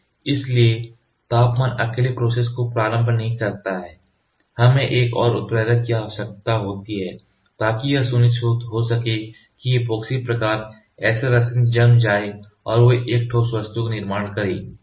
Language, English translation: Hindi, So, temperature alone does not initiate we need one more catalyst to initiate such that the epoxy type SL resins get cured and they form a solid object